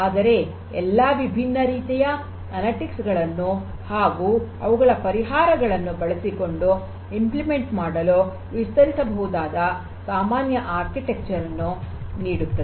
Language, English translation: Kannada, But gives a common architecture where we could extend to implement all these different types of analytics using their solution